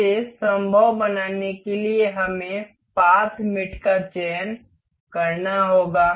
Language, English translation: Hindi, To make this possible, we will have to select the path mate